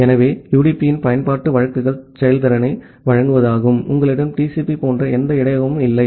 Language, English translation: Tamil, So, the use cases of UDP is to provide performance, you do not have any buffer like TCP